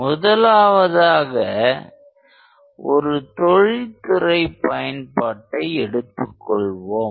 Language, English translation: Tamil, One is if you consider an industrial application